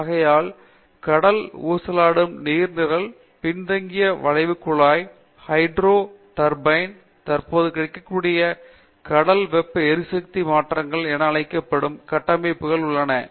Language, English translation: Tamil, So, we have structures called ocean oscillating water column, backward bent ducted boil, hydro turbines wherever there is current available, ocean thermal energy conversion